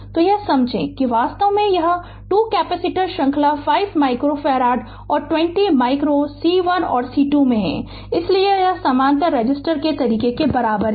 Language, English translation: Hindi, So, figure this actually this 2 capacitors are in series 5 micro farad and 20 micro C 1 and C 2 so, its equivalent to the way you do the parallel resistor